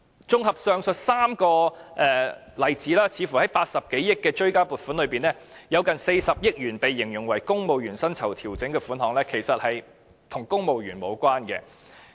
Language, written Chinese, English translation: Cantonese, 綜合上述3個例子，似乎在80多億元的追加撥款裏面，近40億元形容為"公務員薪酬調整"的款項，其實與公務員無關。, In a comprehensive analysis the aforementioned three examples illustrate that out of the over 8 billion supplementary appropriation on the whole an amount of 4 billion described as civil service pay adjustment seems to bear no relevance to the civil service